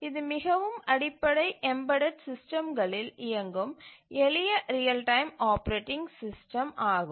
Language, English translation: Tamil, So, this is the simplest real time operating system run on the most elementary embedded systems